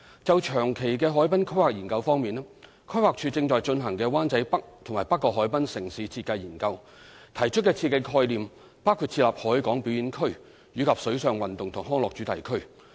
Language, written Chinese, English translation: Cantonese, 就長期的海濱規劃研究方面，規劃署正在進行的"灣仔北及北角海濱城市設計研究"，提出的設計概念包括設立"海港表演區"及"水上運動及康樂主題區"。, With regard to long - term harbourfront planning study in the Urban Design Study for the Wan Chai North and North Point Harbourfront Areas currently undertaken by the Planning Department PlanD the proposed design ideas include setting up the Harbourfront Performance Area and Water Sports Recreation Precinct